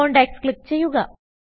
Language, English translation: Malayalam, Click on contacts